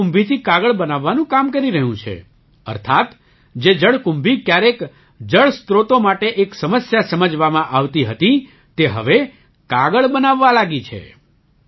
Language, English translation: Gujarati, They are working on making paper from water hyacinth, that is, water hyacinth, which was once considered a problem for water sources, is now being used to make paper